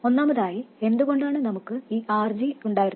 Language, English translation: Malayalam, First of all, why did we have this RG